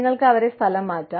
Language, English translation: Malayalam, You could, relocate them